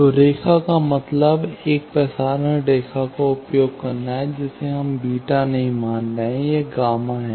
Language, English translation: Hindi, So, line means using a transmission lime we are assuming not beta it is gamma